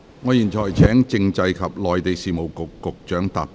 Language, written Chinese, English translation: Cantonese, 我現在請政制及內地事務局局長答辯。, I now call upon the Secretary for Constitutional and Mainland Affairs to reply